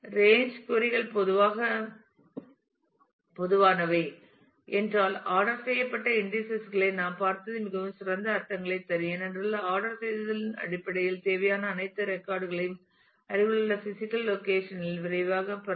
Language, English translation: Tamil, And if range queries are common then as we have seen ordered indices would make it make much better sense because in terms of the ordering you can quickly get all the required records at the same physical location nearby physical location